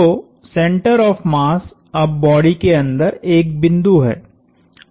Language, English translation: Hindi, So, the center of mass now has is a point inside the body